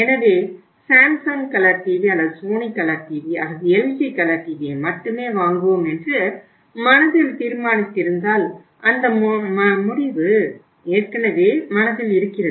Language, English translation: Tamil, So if we have decided in the mind that we will buy only a Samsung colour TV or a Sony colour TV or the LG colour TV that decision is already there in the mind right